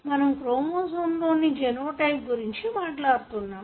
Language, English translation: Telugu, So, what we talk about genotype is the chromosome